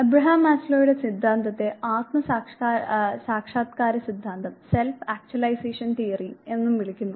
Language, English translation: Malayalam, Abraham Maslow’s theory is also called self actualization theory